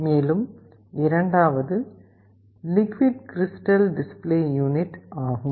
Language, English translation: Tamil, And, the second is the liquid crystal display display unit